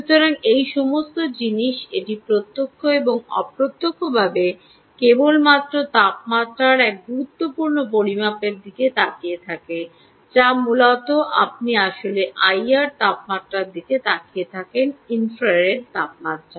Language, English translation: Bengali, ok, so all these things it directly and indirectly, are just looking at this one important measurement of temperature which essentially is you are actually looking at the i r temperature, infrared temperature